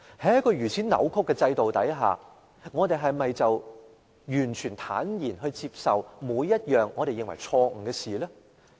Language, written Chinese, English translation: Cantonese, 在一個如此扭曲的制度下，民主派是否要坦然接受每一項我們認為錯誤的事情？, Should the pro - democracy camp easily accept all the wrongdoings in our eyes under this distorted system?